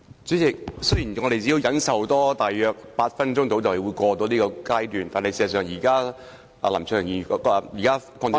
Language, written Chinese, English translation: Cantonese, 主席，雖然我們只要多忍受大約8分鐘便能度過這個階段，但是，事實上，現時林卓廷議員......, President while we only have to tolerate the Members speech for around eight more minutes before we can get through this stage Mr LAM Cheuk - tings present speech actually